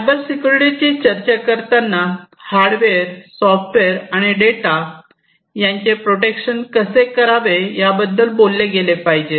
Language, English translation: Marathi, So, when we are talking about Cybersecurity we need to talk about how to protect the hardware, how to protect the software and how to protect the data